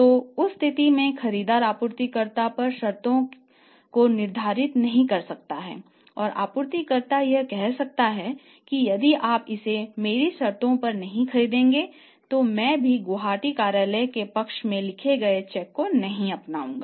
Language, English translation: Hindi, So, in that case the buyer cannot dictate the terms on supplier and supplier would say that if you want to buy it on my terms I will not receive any check which you are writing in favour of Gwati office